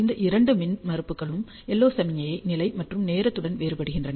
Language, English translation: Tamil, Both these impedances vary with the LO signal level and with time